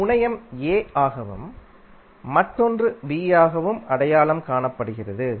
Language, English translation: Tamil, One terminal is given as a, another as b